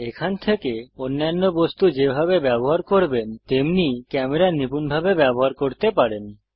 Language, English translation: Bengali, From here on, you can manipulate the camera like you would manipulate any other object